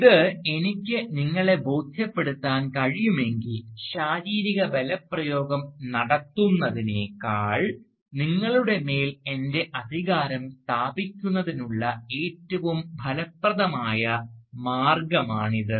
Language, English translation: Malayalam, If I can convince you of that, then that is a more effective way of asserting my authority over you than using physical force